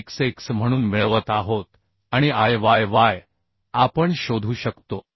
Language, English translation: Marathi, So Ixx and Iyy we can find